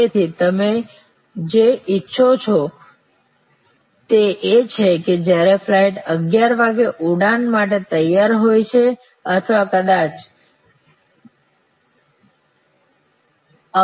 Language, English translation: Gujarati, So, what you want is that at a 11'o clock when the flight is ready to board or maybe 22